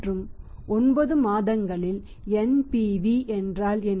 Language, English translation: Tamil, So what is NPV